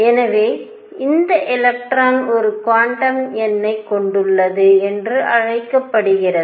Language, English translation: Tamil, So, this is called electron has a quantum number of it is own